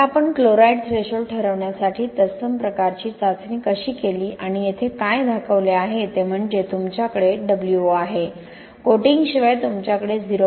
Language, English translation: Marathi, Now how we did the similar type of testing for determining chloride threshold and what is showing here is you have the v, wo without the coating you will have 0